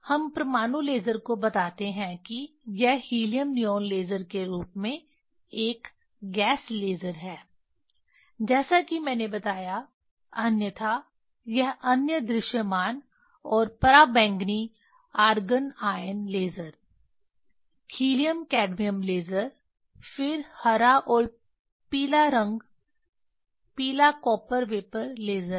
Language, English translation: Hindi, That we tell atomic laser it is a gas laser as helium neon laser as I told, otherwise this other visible and ultraviolet argon ion laser, helium cadmium laser, then green and yellow color yellow copper vapor laser